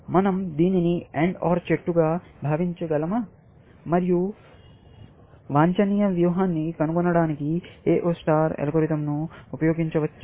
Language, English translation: Telugu, Can we think of this as an AND OR tree, and can we use A0 star algorithm to find an optimum strategy